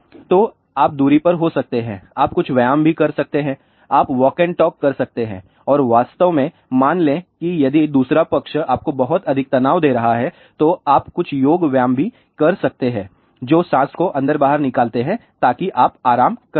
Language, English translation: Hindi, So, you can be at a distance you can do some exercise also, you can do walk and talk and in fact, suppose if the other party is giving you too much stress you can do some yoga exercise also breath in breath out, so that you can relax